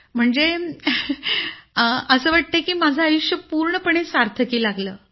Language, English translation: Marathi, Meaning, I believe that my life has become completely meaningful